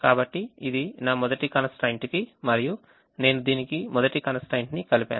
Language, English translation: Telugu, so this is my first constraint and i add the first constraint to it